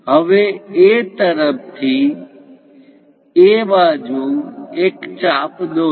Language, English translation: Gujarati, Now draw an arc on that side from A